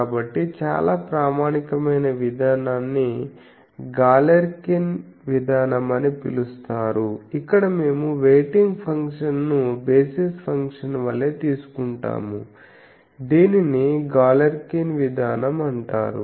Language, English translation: Telugu, So, a very standard procedure is called Galerkin procedure, where the we take the weighting function same as the basis function this is called Galerkin procedure